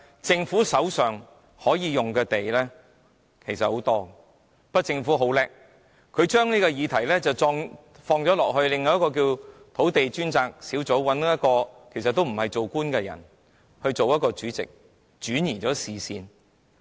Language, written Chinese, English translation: Cantonese, 政府手上可以動用的土地其實很多，但它很聰明，把這個問題轉到土地供應專責小組身上，找來不是當官的人出任該小組的主席，以圖轉移視線。, While the Government does have abundant land available for use it is smart enough to pass the burden to the Land Supply Task Force under the chairmanship of someone who is not an official in the hope of distracting peoples attention from the Government